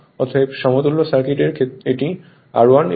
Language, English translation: Bengali, Therefore, your equivalent circuit say this is R 1 and X 1